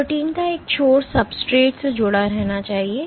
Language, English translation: Hindi, So, one end of the protein must remain attached to the substrate